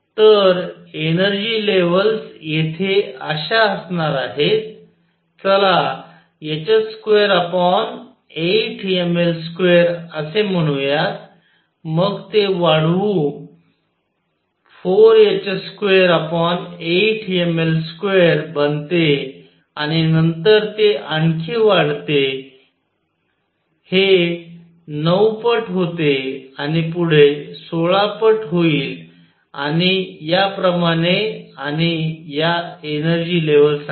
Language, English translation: Marathi, So, the energy levels would be here this is let us say h square over 8 m L square then it increases becomes four times h square over eight ml square and then it increases even more this becomes 9 times and next would be 16 times and so on and these are the energy levels